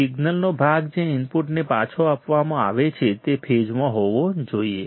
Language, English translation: Gujarati, , The part of the signal that is provided back to the input should be in phase